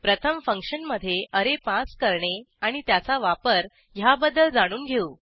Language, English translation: Marathi, Let us first learn how to pass an array to a function, and its usage